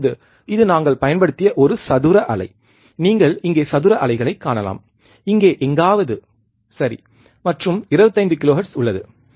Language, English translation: Tamil, Now, this is a square wave that we have applied, you can see square wave here somewhere here, right and there is 25 kilohertz